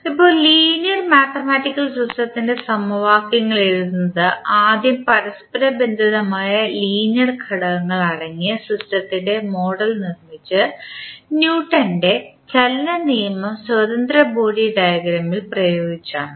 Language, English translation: Malayalam, Now, the equations of linear mathematical system are written by first constructing model of the system containing interconnected linear elements and then by applying the Newton’s law of motion to the free body diagram